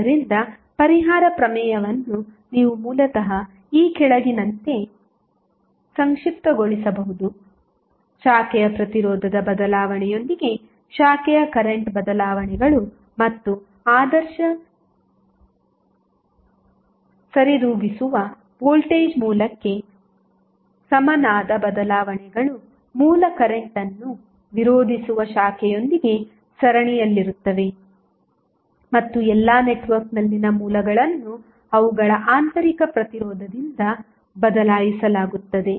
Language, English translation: Kannada, So, what you can say the compensation theorem can basically summarized as follows that with the change of the branch resistance, branch current changes and the changes equivalent to an ideal compensating voltage source that is in series with the branch opposing the original current and all other sources in the network being replaced by their internal resistance